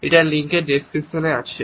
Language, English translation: Bengali, Link in the description